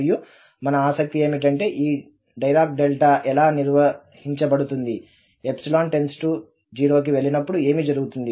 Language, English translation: Telugu, And our interest is, and how to this Dirac Delta is defined that what will happen when this epsilon goes to 0